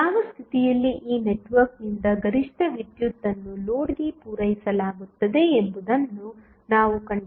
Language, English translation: Kannada, Now, what we have to find out that under what condition the maximum power would be supplied by this network to the load